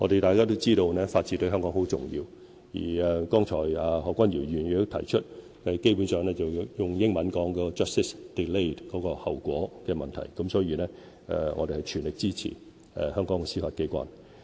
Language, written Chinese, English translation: Cantonese, 大家也知道，法治對香港十分重要，而剛才何君堯議員也指出，基本上用英文表達是 "justice delayed" 的後果的問題，所以我們會全力支持香港的司法機關。, As we all know the rule of law is of paramount importance to Hong Kong and as Dr Junius HO has just highlighted there is basically a problem of justice delayed . Therefore we will lend the Judiciary our full support